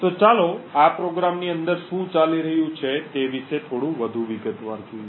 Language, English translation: Gujarati, So, let us look a little more in detail about what is happening inside this program